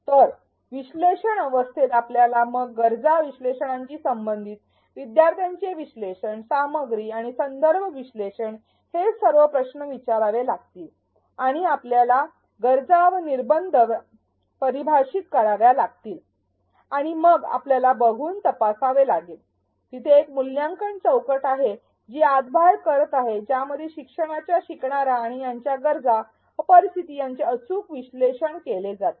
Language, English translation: Marathi, So, in the analyze phase we have to ask all these questions then related to the needs analysis, learner analysis, content and context analysis and we have to define the needs and constraints, and we have to check see there is the evaluate box going back and forth that have the learning needs and the learners and conditions been accurately analyzed